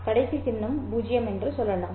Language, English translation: Tamil, Let's say the last symbol is 0